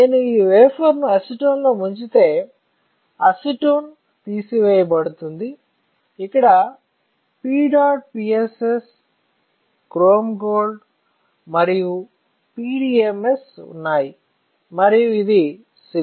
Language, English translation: Telugu, If I dip this wafer in acetone, this wafer, then acetone will get stripped off, I will have P dot PSS, chrome gold and I have PDMS, and this is silicone